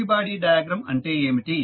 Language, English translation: Telugu, What is free body diagram